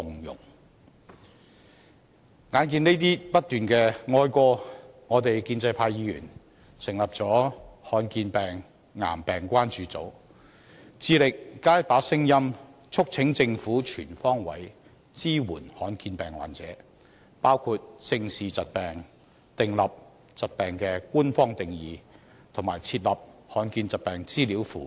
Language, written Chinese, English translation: Cantonese, 一再面對這些哀歌，建制派議員成立了"罕見病癌病關注組"，致力加上一把聲音，促請政府全方位支援罕見疾病患者，包括正視疾病、訂立疾病的官方定義及設立罕見疾病資料庫。, Such sad stories keep being told so Members from the pro - establishment camp set up a concern group for rare diseases and cancer which strives to add another voice to urge the Government to provide comprehensive support for patients with rare diseases including facing up to the diseases squarely drawing official definitions of such diseases and setting up a rare disease database